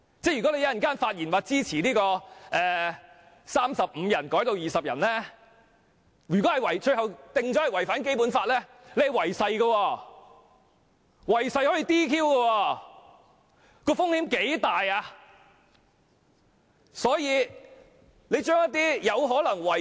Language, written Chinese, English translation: Cantonese, 如果有議員稍後發言表示支持由35人降至20人的建議，而最終該建議被裁定違反《基本法》，有關議員即屬違誓。, If Members speak in support of the proposal to reduce the quorum from 35 Members to 20 Members later on which is eventually ruled to be in contravention of the Basic Law it shall constitute a breach of oath and such Members will be subject to DQ